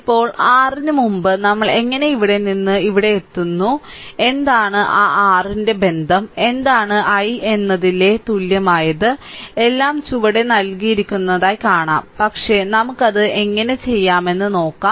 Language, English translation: Malayalam, Now, before your how we are getting from here to here and what is the your what is the your that vir relationship, what is equal to i, just we will see everything is given at the bottom, but let us see how we can do it